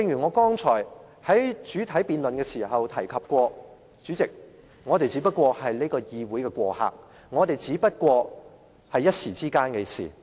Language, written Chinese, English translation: Cantonese, 我剛才在主體辯論時指出，我們只是立法會的過客，今天的事也只是一時間的事。, You have your supporters and so do I I pointed out in the motion debate earlier that we as Members of the Legislative Council are all sojourners and what happens today will become history